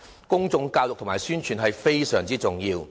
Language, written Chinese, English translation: Cantonese, 公眾教育和宣傳是非常重要的。, Please do so . Public education and publicity are just crucial